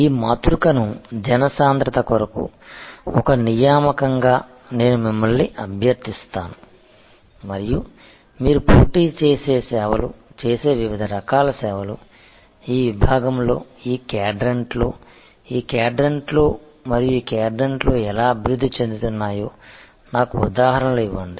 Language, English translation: Telugu, So, I would request you to as an assignment to populate this matrix and give me examples that how different types of services that you are competitive services, you see emerging in this segment, in this quadrant, in this quadrant and in this quadrant